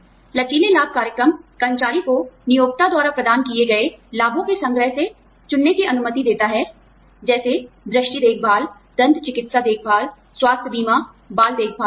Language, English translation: Hindi, Flexible benefits program allows employees, to choose from a selection of employer provided benefits, such as vision care, dental care, health insurance, child care, etcetera